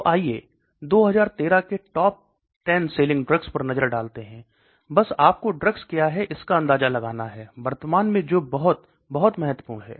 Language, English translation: Hindi, So let us look at the top 10 selling drugs year 2013, just gives you an idea of what does drugs currently which are very, very important okay